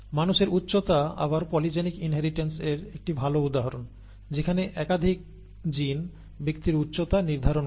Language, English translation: Bengali, The human height is again a good example of polygenic inheritance where multiple genes determine the height of person